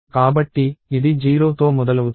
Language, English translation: Telugu, So, it is starts with 0th